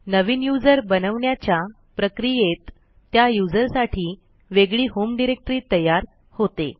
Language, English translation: Marathi, In the process of creating a new user, a seperate home directory for that user has also been created